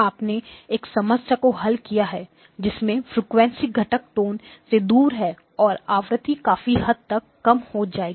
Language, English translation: Hindi, So you solved one problem that is frequency components far away from where the tone lies those will be substantially reduced